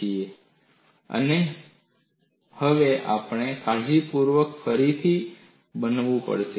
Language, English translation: Gujarati, So, now, you have to recast this carefully